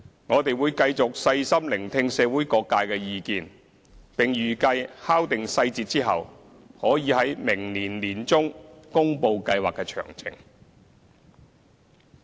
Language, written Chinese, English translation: Cantonese, 我們會繼續細心聆聽社會各界的意見，並預計在敲定細節後，可以於明年年中公布計劃的詳情。, We will continue to listen carefully to views from different sectors of the community and announce the details of the scheme once they are finalized hopefully in the middle of next year